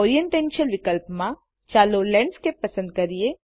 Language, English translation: Gujarati, Under the Orientation option, let us select Landscape